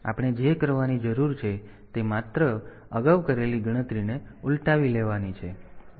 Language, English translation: Gujarati, So, what we need to do is just to reverse the calculation that we have done previously